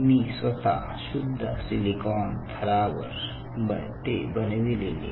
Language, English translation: Marathi, i personally have done it on pure silicon substrates